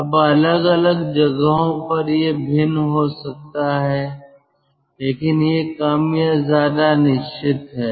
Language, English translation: Hindi, now, from place to place this may vary but this is more or less fixed